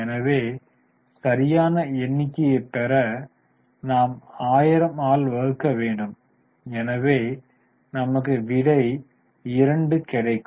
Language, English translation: Tamil, So, further we need to divide by 1,000 to get the correct figure